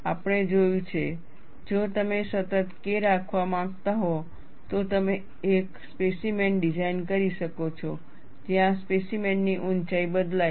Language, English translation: Gujarati, We have seen, if you want to have a constant K, you could design a specimen where the height of the specimen varies